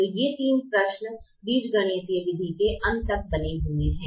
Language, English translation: Hindi, so these three questions remain at the end of the algebraic method